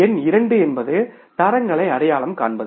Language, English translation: Tamil, Number two is the identification of the standards